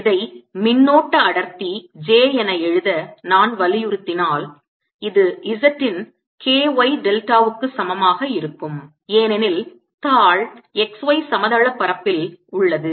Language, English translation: Tamil, if i insist on writing this as the current density j, that this will be equal to k y delta of z, because sheet is in the x y plane